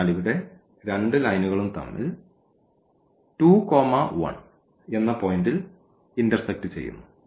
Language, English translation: Malayalam, So, here these 2 lines intersect at this point here are 2 and 1; so, we can write down here 2 and 1